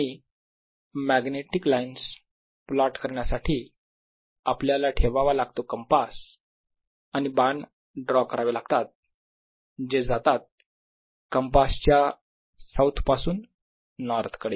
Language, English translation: Marathi, so to plot these magnetic lines, one puts a compass and draws arrows going from south to north of the compass